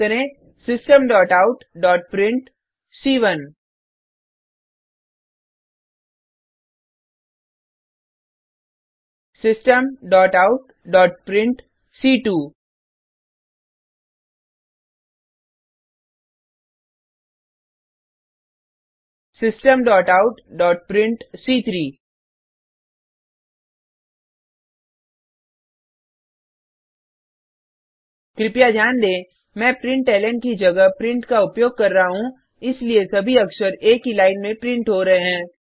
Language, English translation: Hindi, type, System.out.print System.out.print System.out.print Please note that Im using print instead of println so that all the characters are printed on the same line